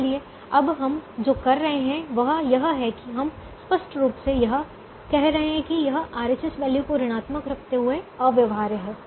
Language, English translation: Hindi, so what we are doing now is we are putting it explicitly that it is infeasible by keeping the right hand side values negative